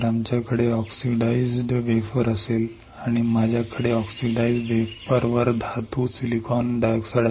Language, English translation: Marathi, if we have a oxidise wafer and if I have a metal on oxidise wafer; metal , silicon dioxide